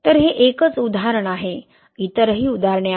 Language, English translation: Marathi, So this is only one example, there are other examples also